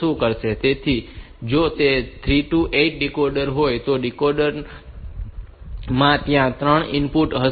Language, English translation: Gujarati, Now, since, this is a 8 input decoders, there must be 3 inputs